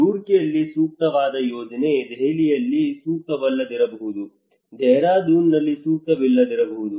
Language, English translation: Kannada, The project that is appropriate in Roorkee may not be appropriate in Delhi, may not be appropriate in Dehradun